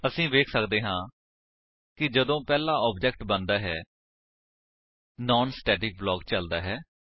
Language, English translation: Punjabi, Then again when the second object is created, the non static block is executed